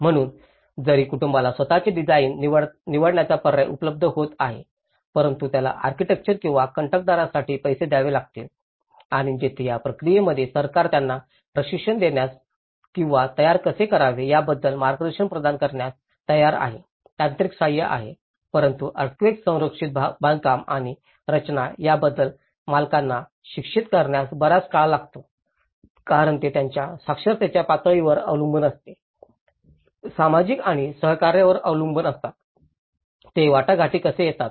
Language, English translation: Marathi, So, even though the family is getting an option to choose their own design but he has to pay for the architect or the contractor and here, in this process, though the government is ready to give them a training or provide guidance on how to build a technical support, so but it takes a long time to educate the owners about earthquake safe constructions and design because it depends on their literacy levels, depends on the social and cooperation, how they come in negotiation